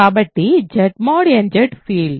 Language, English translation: Telugu, So, Z mod nZ is a field ok